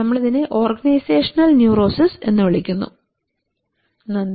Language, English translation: Malayalam, We call it organizational neurosis thank you